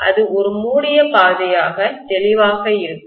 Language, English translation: Tamil, That will be a closed path clearly